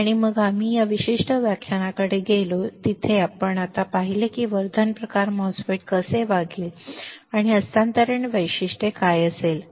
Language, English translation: Marathi, And then we moved onto the to this particular lecture, where now you have seen how the enhancement type MOSFET would behave and what are the transfer characteristics